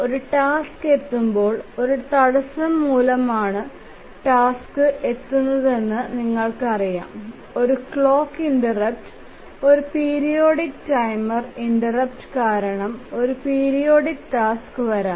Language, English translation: Malayalam, When a task arrives, we know that the tasks arrive due to an interrupt, maybe a periodic task can arrive due to a clock interrupt, a periodic timer interrupt